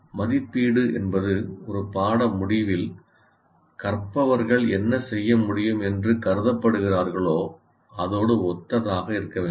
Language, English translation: Tamil, And when assessment is in alignment with the things they are supposed to be able to do at the end of a course